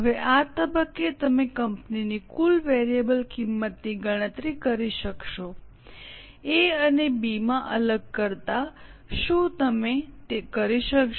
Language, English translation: Gujarati, Now at this stage you will be able to compute the total variable cost for the whole company segregated into A and B